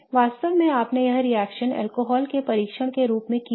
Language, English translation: Hindi, In fact you might have done this reaction as a test of alcohol